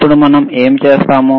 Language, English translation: Telugu, Now, what we see